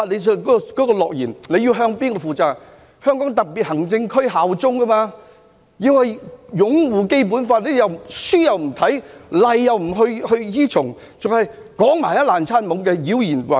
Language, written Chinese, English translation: Cantonese, 是要向香港特別行政區效忠，必須擁護《基本法》，但他們書又不看，例又不依從，還要亂說話，妖言惑眾。, They should pledge allegiance to the HKSAR . They should uphold the Basic Law . But they are too lazy to study and too rebellious to adhere to the rules now they are just talking gibberish and trying to spread fallacies to deceive people